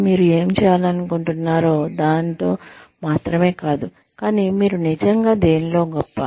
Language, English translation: Telugu, It is not only, what you want to do, but what are you really good at